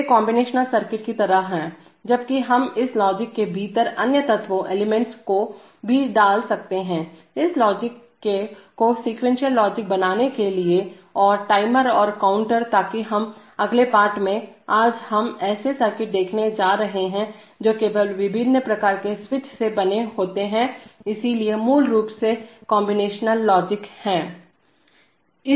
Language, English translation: Hindi, They are like combinational circuits, while we could also put other elements in this, within this logic to make this logic a sequential logic using timers and counters and things like that, so that we will see on the, in the next lesson, today we are going to see circuits which are made simply of various kinds of switches, so basically combinational logic